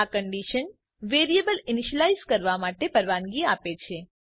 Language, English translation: Gujarati, This condition allows the variable to be initialized